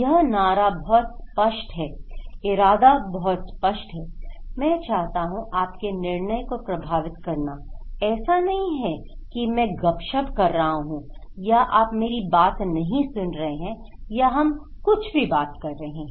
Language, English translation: Hindi, This slogan is pretty clear, the intention is very clear, I want you to influence your decision, it’s not that I am talking like a gossip or you are not listening to me or we are talking anything